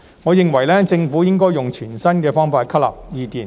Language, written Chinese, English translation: Cantonese, 我認為政府應該用全新的方法吸納意見。, I consider that the Government should adopt a new approach to incorporating views